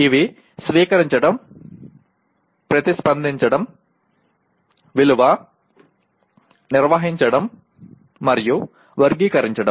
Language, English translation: Telugu, And these are receive, respond, value, organize, and characterize